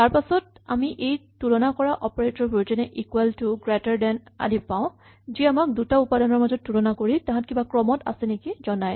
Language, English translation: Assamese, And then we have these comparison operators equal to, greater than and so on, which allows us to check the relative values of two different quantities, and decide whether they are in some order with each other